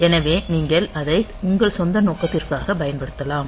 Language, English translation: Tamil, So, you can use it for your own purpose